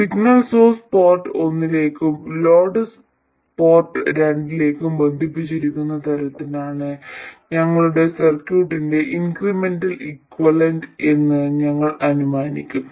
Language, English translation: Malayalam, We will somehow assume that the incremental equivalent of our circuit is such that the signal source is connected to port 1 and the load is connected to port 2